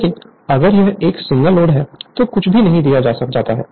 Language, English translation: Hindi, But if it is a simple loadnothing is given